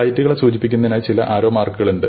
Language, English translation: Malayalam, And you have some arrows indicating the flights